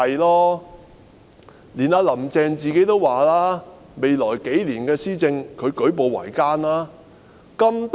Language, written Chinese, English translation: Cantonese, 連"林鄭"自己也說未來數年的施政舉步維艱。, Even Carrie LAM herself has envisaged great difficulties in administration in the next few years